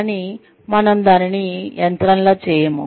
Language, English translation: Telugu, But, we do not just do it, like a machine